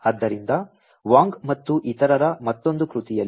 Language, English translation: Kannada, So, in another work by Wang et al